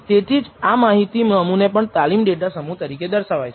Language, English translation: Gujarati, Such that a data set is also denoted as the training data set